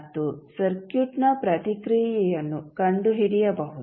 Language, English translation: Kannada, And find out the response of the circuit